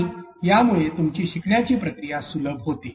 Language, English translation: Marathi, And this actually enhances your process of learning in the process